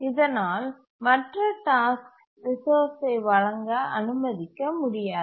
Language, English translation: Tamil, And therefore, the other task cannot really be allowed to grant the resource